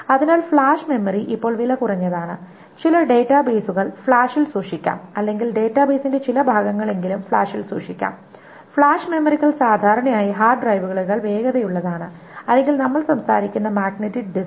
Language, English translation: Malayalam, So flash memory, it is now becoming cheaper in the sense that some of the databases can be stored on the flash or at least some portions of the database can be stored on flash and flash memories are typically faster than hard drives or the magnetic disk that we are talking about